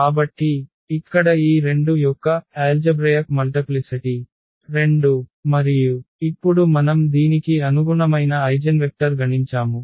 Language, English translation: Telugu, So, here the algebraic multiplicity of this 2 is 2 and now we compute the eigenvector corresponding to this